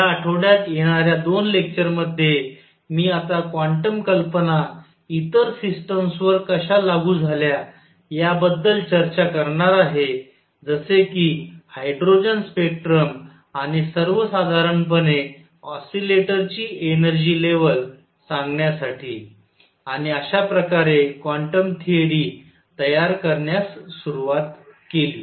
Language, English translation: Marathi, In the coming 2 lectures this week, I am going to now discuss how quantum ideas were also applied to other systems to explain say hydrogen spectrum and the energy level of an oscillator in general, and this sort of started building up quantum theory